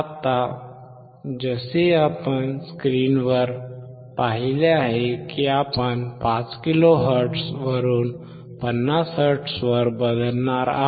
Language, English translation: Marathi, Now, as we have seen on the screen that we were going to change from 5 kilohertz to 50 hertz